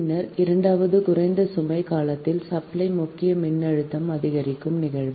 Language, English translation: Tamil, second one is occurrence of increase supply main voltage during low load period